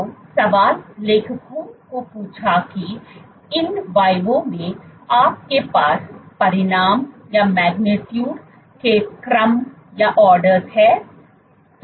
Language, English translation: Hindi, So, the question the authors asked was given that within in vivo you have orders of magnitude